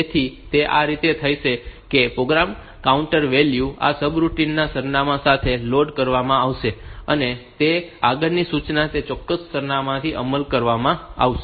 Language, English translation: Gujarati, So, this the way it takes place is that the program counter value will be loaded with the address of this subroutine and that way the next instruction to be executed will be from that particular address